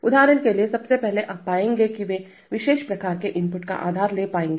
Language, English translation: Hindi, For example, first of all you will find that they will be able to take inputs of that particular kind right